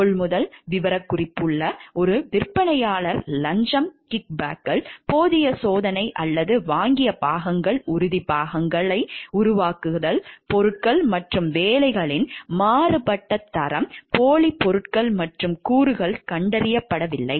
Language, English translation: Tamil, Purchasing, specifications written to favor one vendor bribes kickbacks inadequate testing or purchased parts, fabrication of parts, variable quality of materials and workmanship, bogus materials and components not detected